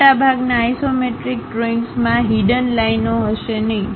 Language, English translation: Gujarati, Most isometric drawings will not have hidden lines